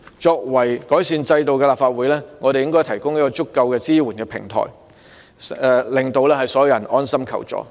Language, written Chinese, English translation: Cantonese, 作為改善制度的立法會，我們應該提供有足夠支援的平台，令所有人安心求助。, We should strive to make enhancements to the system through our debate here in this Council and provide a platform with adequate support so that everyone can put their mind at ease when seeking assistance